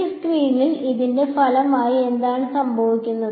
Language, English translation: Malayalam, And as a result of this over here on this screen, what happens